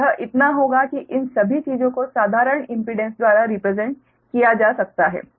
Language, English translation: Hindi, all these things can be represented by simple impedances, right